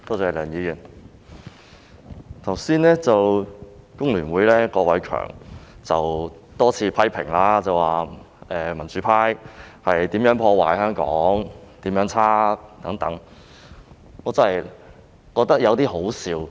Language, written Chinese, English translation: Cantonese, 香港工會聯合會郭偉强議員剛才多次批評民主派如何破壞香港及何其差劣等，我真的覺得有點可笑。, I really find it a bit ridiculous to hear Mr KWOK Wai - keung of the Hong Kong Federation of Trade Unions FTU just now criticizing the pro - democracy camp time and again of damaging Hong Kong and performing badly